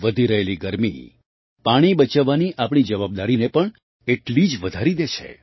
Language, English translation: Gujarati, This rising heat equally increases our responsibility to save water